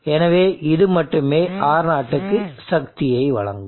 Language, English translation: Tamil, So only this will be delivering power to R0